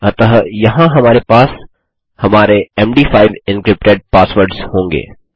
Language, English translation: Hindi, So, here we will have our md5 encrypted passwords